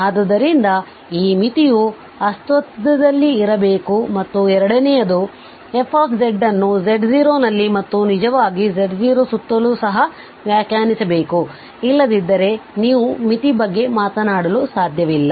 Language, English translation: Kannada, So, this limit should exist and the second is that f z should be defined at z 0 indeed around z 0 also otherwise you cannot talk about the limit